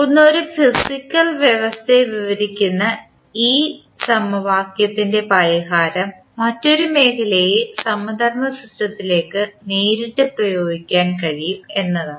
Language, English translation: Malayalam, One is that, the solution of this equation describing one physical system can be directly applied to the analogous system in another field